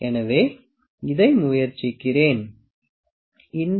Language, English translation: Tamil, So, let me try this one, this size is 1